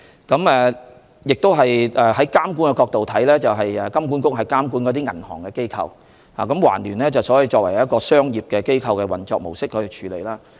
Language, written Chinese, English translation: Cantonese, 在監管的角度來看，金管局是監管銀行的機構，而環聯卻是以一個商業機構的模式運作。, From a regulatory point of view HKMA is the regulatory authority of banks while TransUnion operates as a commercial organization